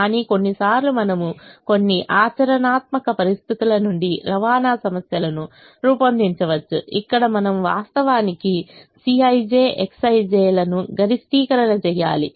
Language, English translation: Telugu, we try to minimize the cost of transportation, but sometimes we can formulate transportation problems out of some practical situations where we actually maximize c i, j, x i j